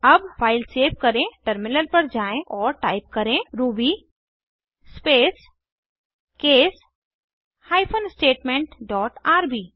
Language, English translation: Hindi, Now, save the file, switch to the terminal and type ruby space case hyphen statement dot rb